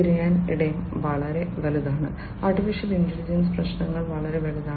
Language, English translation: Malayalam, The search space is huge, the search space in AI many of the AI problems is huge